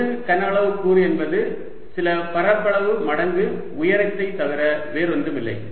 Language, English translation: Tamil, a volume element is nothing but some area times the height